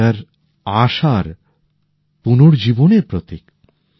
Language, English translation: Bengali, Easter is a symbol of the resurrection of expectations